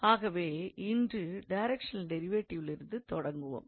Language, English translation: Tamil, So, we will start with today directional derivative